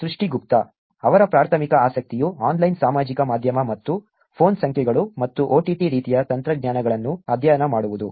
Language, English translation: Kannada, That is Srishti Gupta, whose primary interest is studying the online social media and with the phone numbers and OTT kind of technologies that are available